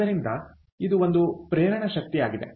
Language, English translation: Kannada, so this is the motivation